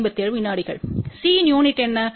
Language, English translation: Tamil, What was that unit of C